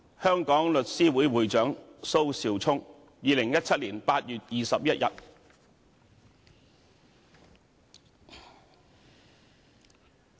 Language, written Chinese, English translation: Cantonese, 香港律師會會長蘇紹聰2017年8月21日。, Thomas S T SO President of The Law Society of Hong Kong 21 August 2017